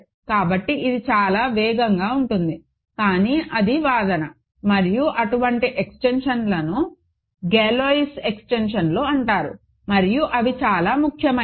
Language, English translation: Telugu, So, this is very fast, but that is argument and such extensions are called Galois extensions and they are very important